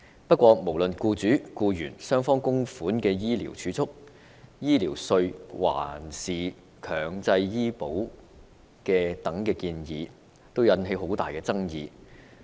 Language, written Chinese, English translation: Cantonese, 然而，無論是勞資雙方供款的醫療儲蓄計劃、醫療稅，還是強制醫保等建議，全都引起很大爭議。, Nevertheless various financing proposals such as a medical savings scheme with contributions from employees and employers a health care tax or mandatory health insurance had given rise to much controversy